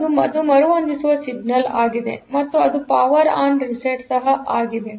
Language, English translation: Kannada, So, that is the reset signal and also this is also the power on is there